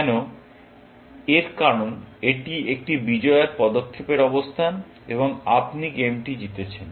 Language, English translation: Bengali, Why because this is a winning move position, and you have won the game